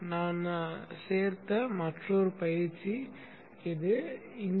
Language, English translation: Tamil, Another exercise which I have included is this